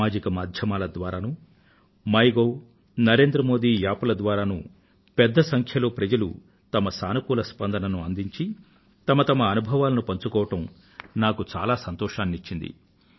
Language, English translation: Telugu, I am very glad that a large number of people gave positive responses on social media platform, MyGov and the Narendra Modi App and shared their experiences